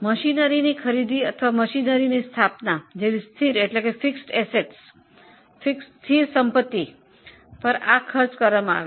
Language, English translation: Gujarati, Now this is a cost incurred on fixed assets like purchase of machinery or like installation of machinery